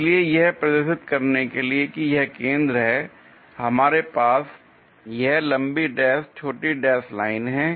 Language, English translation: Hindi, So, to represent that a center, we have this long dash short dash lines